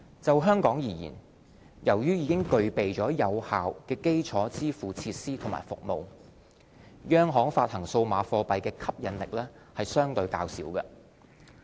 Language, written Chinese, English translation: Cantonese, 就香港而言，由於已具備有效的基礎支付設施和服務，央行發行數碼貨幣的吸引力相對較小。, In the context of Hong Kong the already efficient payment infrastructure and services make CBDC a less attractive proposition